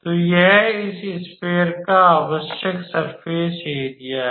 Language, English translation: Hindi, So, this is the required surface area of this sphere